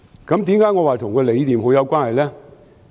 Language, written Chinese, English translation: Cantonese, 為何我說跟理念很有關係？, Why do I say that this is a philosophical question?